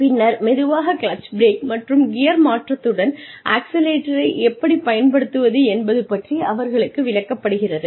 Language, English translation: Tamil, And then, slowly, the connection of the clutch, brake, and accelerator, with gear change, is explained to them